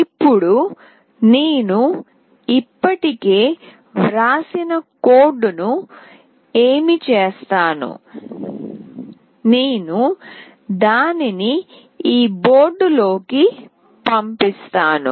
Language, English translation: Telugu, Now what I will do the code that I have already written, I will be dumping it into this board